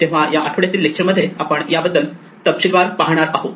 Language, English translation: Marathi, So, we will look at this in more detail in this weeks' lectures